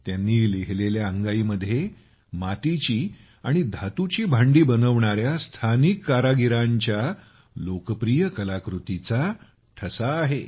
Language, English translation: Marathi, The lullaby he has written bears a reflection of the popular craft of the artisans who make clay and pot vessels locally